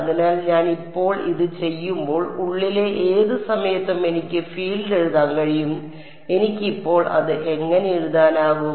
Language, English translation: Malayalam, So, when I do this now I can write down field at any point inside how can I write it now